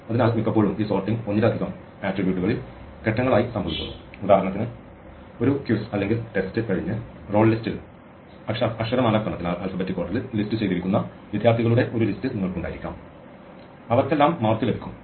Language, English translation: Malayalam, So, very often this sorting happens in stages on multiple attributes, for example, you might have a list of students who are listed in alphabetical order in the roll list after a quiz or a test, they all get marks